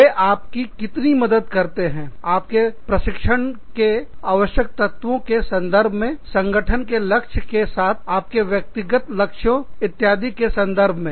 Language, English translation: Hindi, How much, do they support you, in terms of, your training needs, in terms of, your alignment of your personal goals, with the organizational goals, etcetera